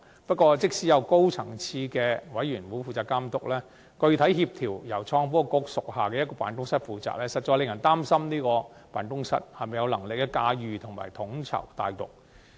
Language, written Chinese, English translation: Cantonese, 不過，即使有高層次的督導委員會負責監督，具體協調由創新及科技局屬下的辦公室負責，實在令人擔心它是否有能力駕馭及統籌大局。, Yet even under the watch of the Steering Committee at a high level it is worrying whether an office under the Innovation and Technology Bureau which is tasked with the actual coordination can command and coordinate the overall situation